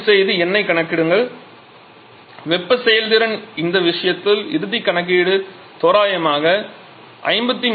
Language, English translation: Tamil, So, you please calculate the number the if thermal efficiency the final calculation in this case is going to be 53